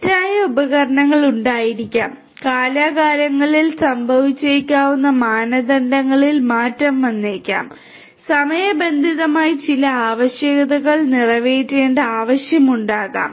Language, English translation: Malayalam, There may be faulty devices; faulty devices there may be change in standards that might happen from time to time, there maybe a need for catering to some requirements in a timely manner